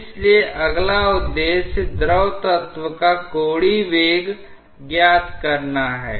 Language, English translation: Hindi, So, the next objective therefore, is finding the angular velocity of the fluid element